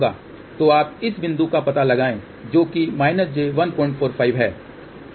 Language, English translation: Hindi, So, you locate this point here which is minus j 1